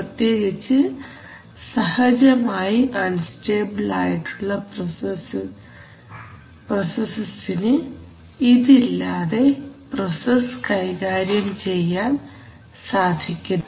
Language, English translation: Malayalam, Especially for processes which are inherently unstable, this is a very important objective, without this we cannot run the process at all